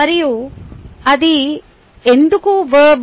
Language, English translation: Telugu, and why it is a verb